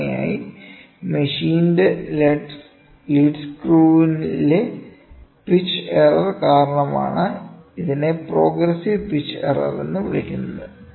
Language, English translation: Malayalam, Generally, it is caused by the pitch error in the lead screw of the machine this is called as progressive pitch error